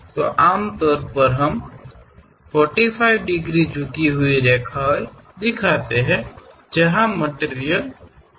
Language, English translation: Hindi, So, usually we show 45 degrees inclined lines, where material is present